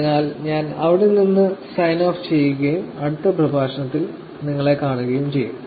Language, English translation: Malayalam, Therefore, I will sign off from here and see you in the next lecture